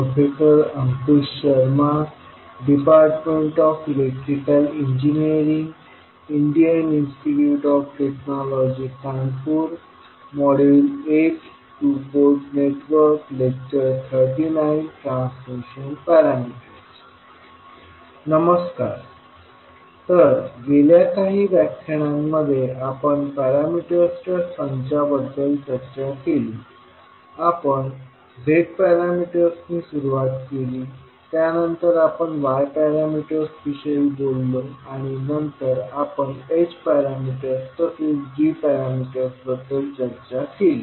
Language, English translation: Marathi, Namaskar, so in last few sessions we discussed about a set of parameters, we started with Z parameters, then we spoke about Y parameters and then we discussed H parameters as well as G parameters